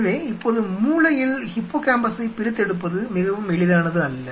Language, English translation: Tamil, So, now in the brain isolating hippocampus is not something very easy